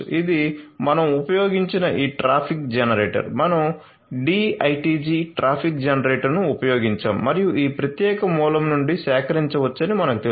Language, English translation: Telugu, And for IoT traffic generator this is this traffic generator that we have used; we have used the D ITG traffic generator and it can be you know it can be procured from this particular source